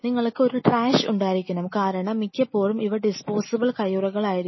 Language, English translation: Malayalam, And you should have a trash air because most of the time these will be disposable stuff, your gloves and all these things